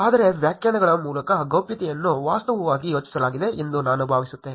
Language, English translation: Kannada, ’ But I think the privacy by definitions is actually thought